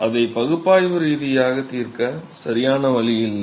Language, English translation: Tamil, There is no clean way to solve it analytically